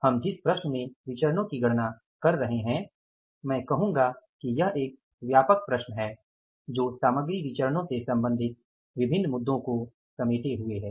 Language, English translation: Hindi, We are calculating the variances of a problem which I can say it is a comprehensive problem dealing with different issues with regard to the material variances